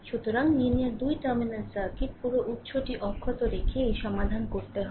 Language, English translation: Bengali, So, linear 2 terminal circuit, this whole thing you have to solve keeping that all the sources intact right